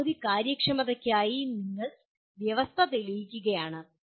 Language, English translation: Malayalam, You are only proving the condition for maximum efficiency